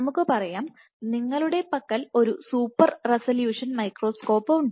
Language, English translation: Malayalam, So, you have a microscope super resolution